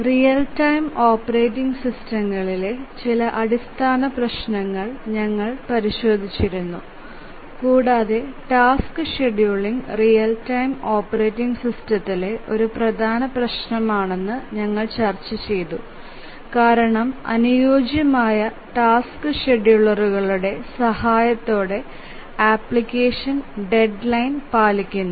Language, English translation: Malayalam, So far we had looked at some very basic issues in real time operating systems and we had seen that task scheduling is one of the major issues with real time operating systems and we had seen that task scheduling is one of the major issues with real time operating systems